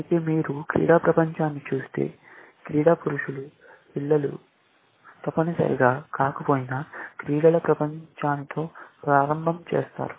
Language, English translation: Telugu, Whereas, if you look at world of sports, children of sports men, do not necessarily, make it begin the world of sports, essentially